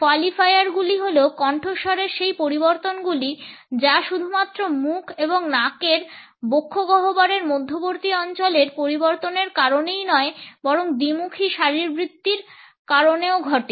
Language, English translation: Bengali, Qualifiers are those modifications of the voice which are caused not only by the changes in the area between the thoracic cavity in the mouth and nose but also bifacial anatomy